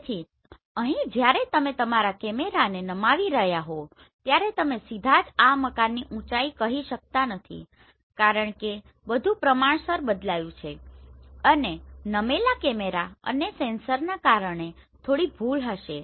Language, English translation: Gujarati, So here when you are tilting your camera you cannot say directly like this is the height of this building right because everything is proportional changed and there will be some error introduced by your tilting and the sensor